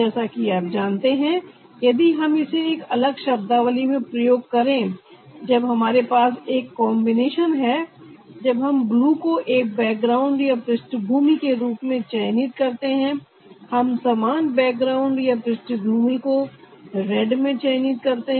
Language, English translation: Hindi, we will get a flickering effect in that, like you know, if we use it in a different term, when we have a combination of maybe we are choosing a blue as background, we are choosing the same background in red, so this same in the size and there is no difference